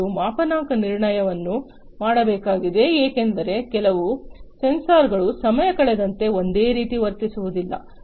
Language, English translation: Kannada, And calibration has to be done because certain sensors would not behave the same way with passage of time